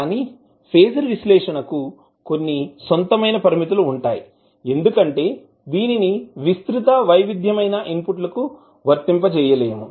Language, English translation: Telugu, But phasor analysis has its own limitations because it cannot be applied in very wide variety of inputs